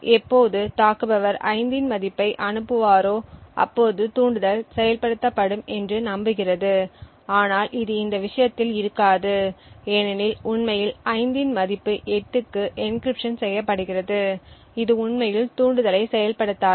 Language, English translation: Tamil, Now, when the attacker sends a value of 5 hoping that the trigger would get activated it will not in this case because in fact the value of 5 is getting encrypted to 8 and therefore will not actually activate the trigger